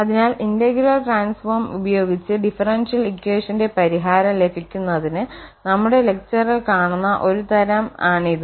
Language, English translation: Malayalam, So, this is a kind of technique which will be demonstrated in our lectures to get the solution of the differential equations using these integral transform